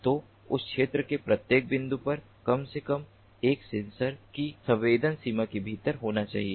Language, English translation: Hindi, each and every point in that particular area has to be within the sensing range of at least one sensor